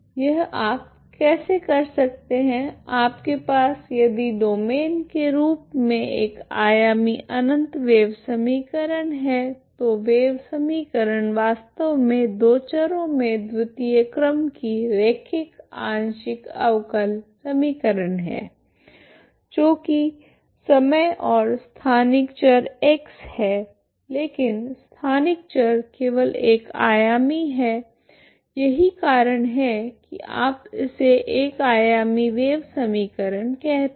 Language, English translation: Hindi, This is how you can, what you have is if your domain is infinite one dimension wave equation, wave equation is actually second order linear partial differential equation in two variables so that is T N time and spatial variable X but spatial variable is only one dimension so that is why you call one dimensional wave equation